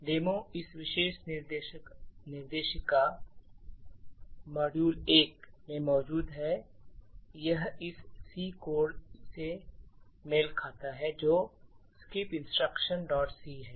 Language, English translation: Hindi, So, the demo is present in this particular directory nptel codes/ module 1 and it corresponds to this C code skip instruction